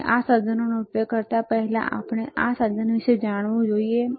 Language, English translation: Gujarati, And before we use this equipment we should know about this equipment